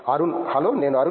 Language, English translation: Telugu, Hello, I am Arun